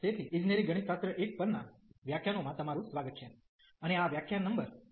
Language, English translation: Gujarati, So, welcome to the lectures on Engineering Mathematics 1, and this is lecture number 23